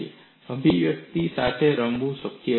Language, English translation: Gujarati, It is possible to play with these expressions